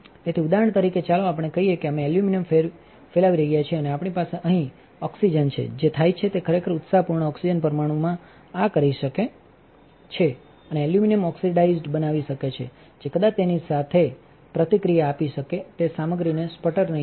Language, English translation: Gujarati, So, for example, let us just say we were sputtering aluminum and we had oxygen up here, what might happen is a really energetic oxygen molecule might hit this and create aluminum oxide it might not actually sputter the material it might react with it